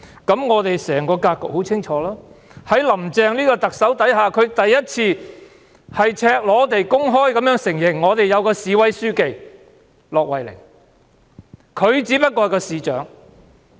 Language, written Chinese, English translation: Cantonese, 那麼整個格局便很清楚了，"林鄭"第一次赤裸地公開承認我們有位市委書記——駱惠寧，而她只不過是市長。, The whole situation is very clear now . Carrie LAM has for the first time admitted the naked truth that we have a Secretary of Municipal Committee in Hong Kong who is LUO Huining whereas she is only a mayor